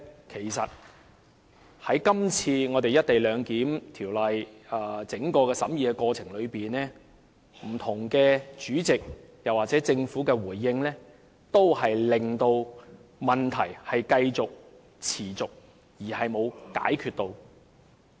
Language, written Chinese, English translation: Cantonese, 其實，在今次《廣深港高鐵條例草案》整個審議過程中，不同的主席或政府作出的回應均未能解決問題，只讓問題繼續下去。, In the whole process of the deliberation of the Guangzhou - Shenzhen - Hong Kong Express Rail Link Co - location Bill the Bill neither the relevant chairmen and President nor the Government have sought to address the problems associated with the Bills . Instead they let the problems continue to exist